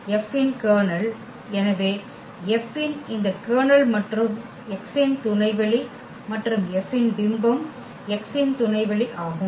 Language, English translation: Tamil, Then the kernel of F, so, this kernel of F and is a subspace of X and also image of F is a subspace of X